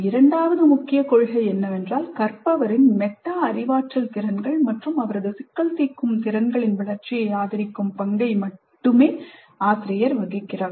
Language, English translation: Tamil, The second key principle is teacher plays the role of a tutor supporting the development of learners metacognitive skills and her problem solving abilities